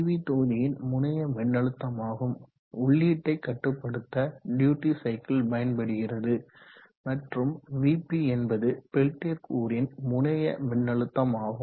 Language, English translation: Tamil, So this is Vt terminal voltage of the PV module, you have the duty cycle which will be used on the control input, and you have Vp, the terminal voltage of the peltier element